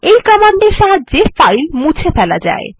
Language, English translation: Bengali, This command is used for deleting files